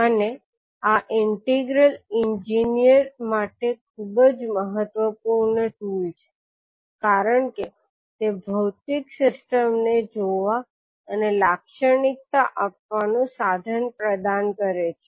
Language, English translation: Gujarati, And this particular integral is very important tool for the engineers because it provides the means of viewing and characterising the physical systems